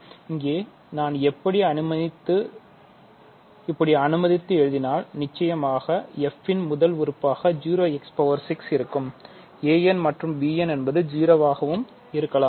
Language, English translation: Tamil, So, here of course, if I write like this f will be 0 times x power 6 first term; so a n and b n can be 0